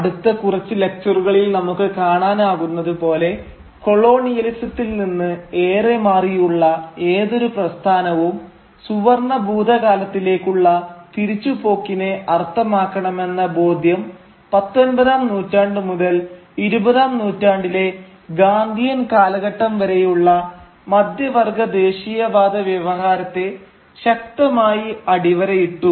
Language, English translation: Malayalam, But as we shall see in our next few lectures, the conviction that a movement away from colonialism should mean a return to a golden past strongly underlined the middle class nationalist discourse right from the 19th century down to the Gandhian era of the 20th century